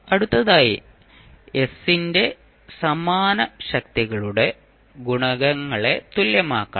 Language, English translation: Malayalam, Now, what next you have to do, you have to just equate the coefficients of like powers of s